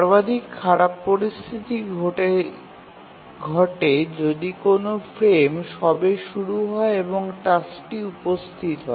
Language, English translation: Bengali, So the worst case occurs if a frame has just started and the task arrives